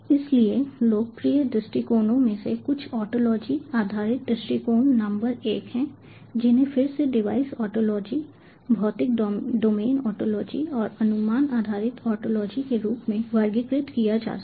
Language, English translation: Hindi, so some of the popular approaches are ontology based approach, number one, which again can be classified as device ontology, physical domain ontology and estimation based ontology, device